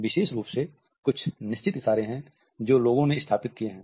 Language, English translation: Hindi, Particularly, there are certain gestures which people have found